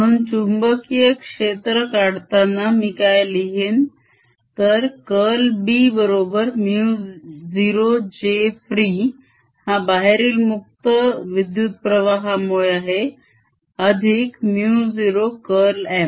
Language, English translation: Marathi, so what i should be writing in calculating this magnetic field is: curl of b is equal to mu naught j, free, where free is the current which is done from outside, plus mu naught curl of m